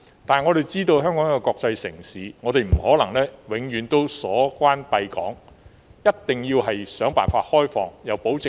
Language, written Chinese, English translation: Cantonese, 但是，香港既然是國際城市，我們便不可能永遠都鎖關閉港，一定要想辦法開放邊境，又要保證安全。, However since Hong Kong is a world city it is impossible for us to lockdown our border checkpoints permanently . We need to find ways to open them up and in the meantime to guarantee the safety